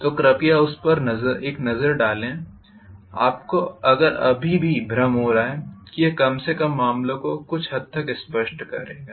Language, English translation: Hindi, So please take a look at that if you are still having confusion, it will at least clarify matters to some extent, right